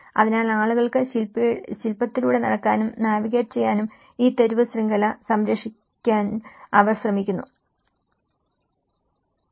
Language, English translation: Malayalam, So, they try to preserve this street network for people to walk and navigate through the sculpture